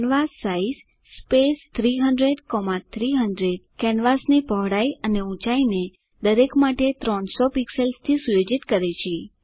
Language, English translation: Gujarati, canvassize 300,300 sets the width and height of the canvas to 300 pixels each